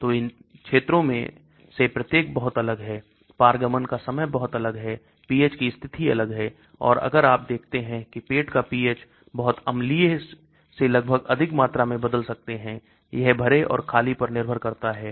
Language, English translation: Hindi, So each of these regions are very different, the transit times are very different, the pH conditions are different and if you see the stomach pH can change from very acidic to almost higher values depending upon whether it is fasted or un fasted